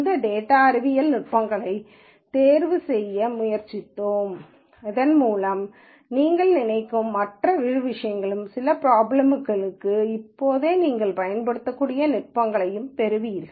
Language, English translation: Tamil, We tried to pick these data science techniques so that you get a good flavour of another things that you think about and also actually techniques that you can use for some problems right away